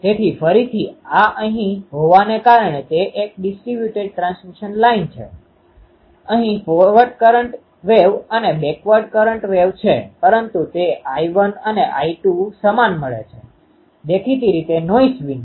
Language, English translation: Gujarati, So, again this is now here due to since it is a distributed transmission line, here is a forward going current wave and backward going current wave, but that is giving that I 1 and I 2 same; obviously, without noise